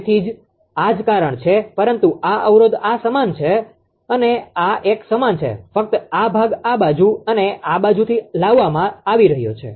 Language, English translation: Gujarati, So, that is why this, but this not same this one and this one is same only this portion as being brought to this side and from this side